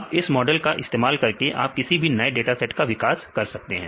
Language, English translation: Hindi, Then you can use that model for predicting any new set of data